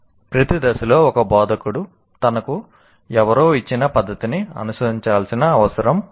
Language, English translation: Telugu, And at every stage an instructor doesn't have to follow a method that is given to him by someone